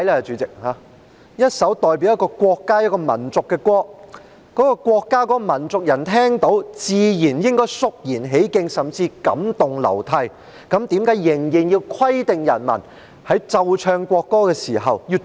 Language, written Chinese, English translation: Cantonese, 主席，一首代表國家和民族的歌曲，該國的國民和民族聽到時自然理應肅然起敬，甚至感動流涕，但為何仍要規定人民在奏唱國歌時的行為？, President a song that represents the country and the nation should supposedly command profound respect from the people or nationals and even move them to tears . But why is it still necessary to make stipulations on the behaviours of the people when the national anthem is played and sung?